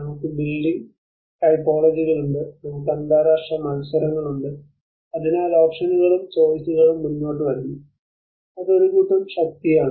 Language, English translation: Malayalam, we have the building typologies, we have the international competitions, so there is options and choices come forward which is a set of force